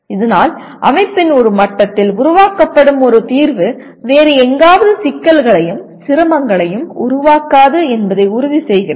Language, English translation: Tamil, Thus, ensuring that a solution at one level of the system does not create problems and difficulties somewhere else